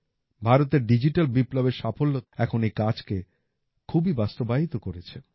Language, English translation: Bengali, The success of the digital revolution in India has made this absolutely possible